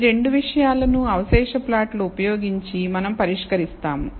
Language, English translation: Telugu, These 2 things we will address using residual plots